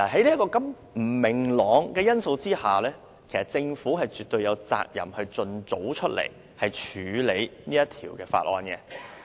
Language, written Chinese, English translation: Cantonese, 在不明朗的因素下，政府絕對有責任盡早處理《條例草案》。, In light of the uncertainties the Government is absolutely obliged to deal with the Bill as soon as possible